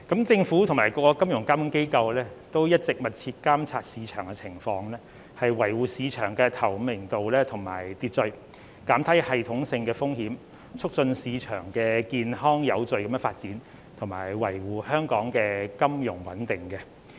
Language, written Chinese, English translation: Cantonese, 政府及各金融監管機構一直密切監測市場情況，以維護市場的透明度及秩序，減低系統性的風險，促進市場健康有序地發展，以及維護香港的金融穩定。, The Government and financial regulators have been closely monitoring the market in order to maintain the transparency and order of the market reduce systemic risks facilitate the healthy and orderly development of the market and safeguard the financial stability of Hong Kong